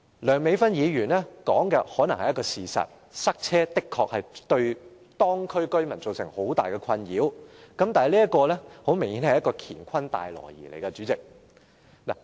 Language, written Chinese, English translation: Cantonese, 梁美芬議員所說的可能是事實，塞車的確會對當區居民造成很大困擾，但明顯地，代理主席，這是一個"乾坤大挪移"。, Dr Priscilla LEUNG may be right as traffic congestion has indeed caused a lot of frustration to local residents . But very obviously Deputy President she has sought to put two unrelated issues together